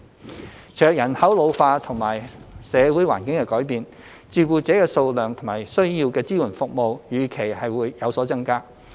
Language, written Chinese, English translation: Cantonese, 隨着人口老化及社會環境的改變，照顧者的數量及需要的支援服務預期會有所增加。, With an ageing population and changes in the social environment the number of carers and support services needed are expected to increase